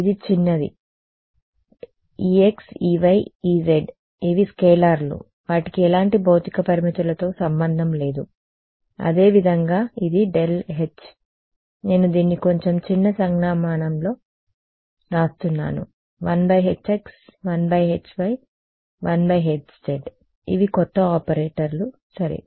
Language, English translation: Telugu, This is small e x small e y small e z these are scalars they have nothing to do with any physical constraints similarly this del H I just write it in slightly smaller a notation 1 by h x 1 by h y and 1 by h z these are the new operators ok